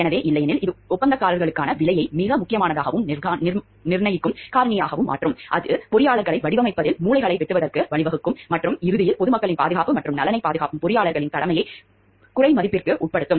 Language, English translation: Tamil, So, otherwise what happens this would make the price most important and determining factor for a contracts which would lead to the engineers cutting corners to design work and could ultimately undermine engineers duty to protect the safety and welfare of the public